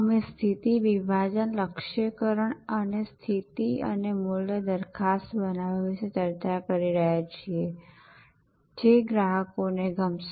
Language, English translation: Gujarati, And we are discussing about positioning, segmentation targeting and positioning and creating a value proposition, which customers will love